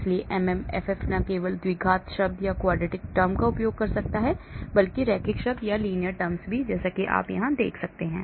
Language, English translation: Hindi, So MMFF uses not only the quadratic term, but also the linear terms as you can see here